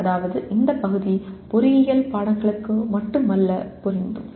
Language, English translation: Tamil, That means this part will apply not only to engineering subjects but to any other subject as well